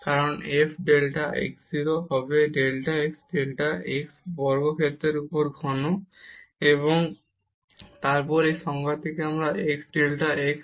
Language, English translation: Bengali, Because f delta x 0 will be delta x cube over delta x square, and then 1 delta x from this definition